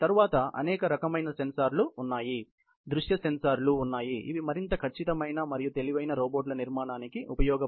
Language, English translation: Telugu, Then, may be several sensors; there can be visual sensors, which are useful in building of more accurate and intelligent robots